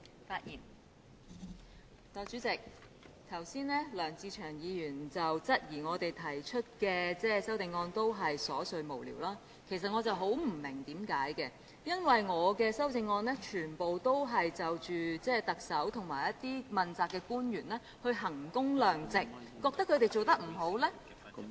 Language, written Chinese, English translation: Cantonese, 代理主席，梁志祥議員剛才質疑我們的修正案都是瑣碎無聊，其實我十分不明白，因為我的修正案全部都是就特首和一些問責官員來衡工量值，覺得他們做得不好......, Deputy Chairman Mr LEUNG Che - cheung queried just now that our amendments were trivial and senseless . I cannot quite understand what he means as my amendments are all about value for money for the Chief Executive and some officials under the accountability system